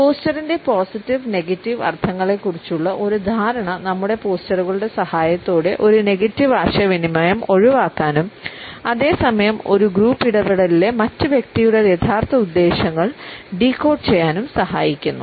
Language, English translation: Malayalam, An understanding of the positive and negative connotations of posture helps us to avoid a negative communication with the help of our postures and at the same time decode the true intentions of the other person in a group interaction